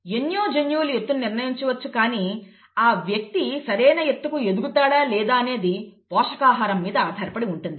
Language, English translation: Telugu, The height could be determined by a number of genes but whether the person grows up to the height potential, depends on the nutrition, right